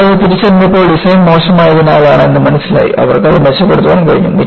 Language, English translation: Malayalam, When they identified that, they were due to poor design; they were able to improve it